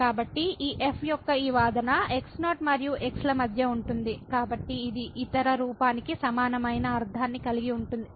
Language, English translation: Telugu, So, this argument of this lies between and , so it has the same similar meaning what the other form has